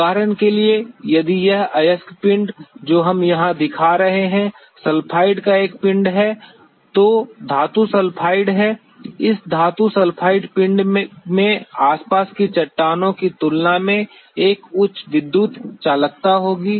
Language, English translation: Hindi, Even, say for example, if this ore body that we are showing here is a body of sulfide is a metal sulfide; this metal sulfide body by will have a higher electrical conductivity compared to the surrounding rocks